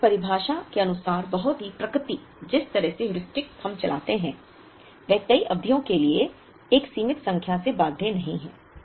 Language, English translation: Hindi, By the very definition, the very nature, the way the Heuristics run we are not bound by a finite number of periods